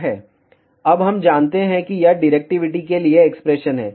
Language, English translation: Hindi, Now, we know this is the expression for directivity